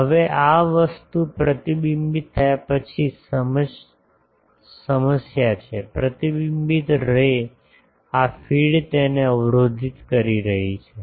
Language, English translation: Gujarati, Now, the problem is after this thing gets reflected, the reflected ray this feed is blocking that